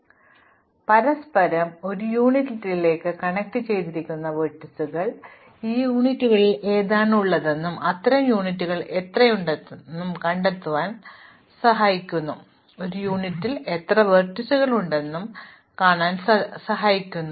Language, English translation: Malayalam, So, we want to group together those vertices which are connected to each other into one unit and find out which of these units are there and how many such units are there, and which vertices belong to the same unit